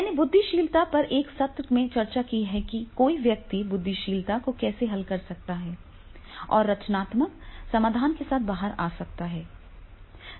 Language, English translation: Hindi, I have discussed one session on the brainstorming also that is how one can moderate the brainstorming and then come out with the creative solutions